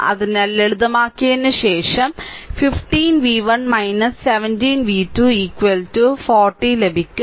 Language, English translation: Malayalam, So, after simplification you will get 15 v 1 minus 17 v 2 is equal to 40